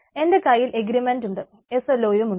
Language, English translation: Malayalam, so i have agreement, i have slos